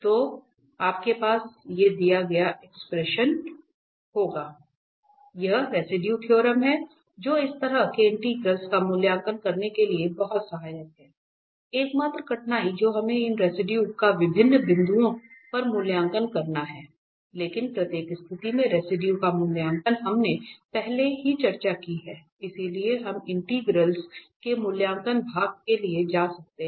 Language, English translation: Hindi, So, this is the residue theorem which is very helpful now to evaluate such integrals, the only difficulty that we have to evaluate these residues at different different points, but the evaluation of residues in each situation we have already discussed, so we can go for the evaluation part of the integrals